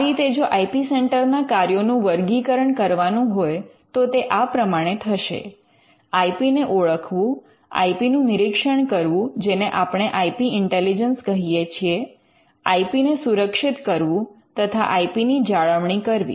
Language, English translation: Gujarati, So, the functions of the IP centre will just broadly classify them as identifying IP, screening IP what we call IP intelligence, protecting IP and maintaining IP